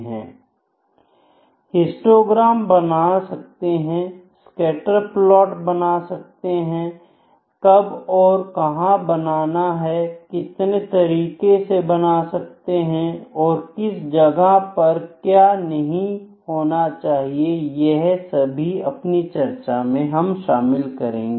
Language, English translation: Hindi, We can draw histograms, we can draw scatter plots, what and where to draw, what are the ways applications and which is not recommended at what place we will discuss these things, ok